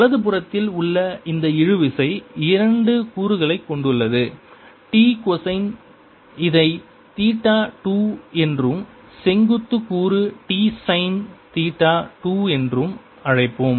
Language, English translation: Tamil, this tension on right hand side on two components, t minus cosine of, let's call it theta two, and vertical component t sin of theta two